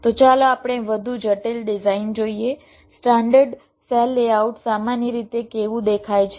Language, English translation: Gujarati, right, fine, so lets look at a more complex design, how a standard cell layout typically looks like